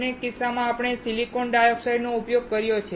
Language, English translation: Gujarati, In both the cases, we have used the silicon dioxide